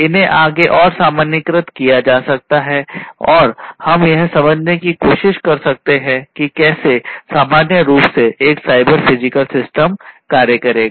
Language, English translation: Hindi, So, this could be generalized further and we can try to understand how, in general, a cyber physical system is going to work